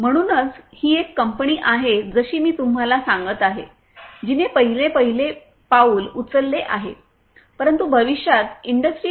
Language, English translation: Marathi, So, this is a company as I was telling you earlier which has taken the first steps, but there is a long way to go if they are willing to adopt Industry 4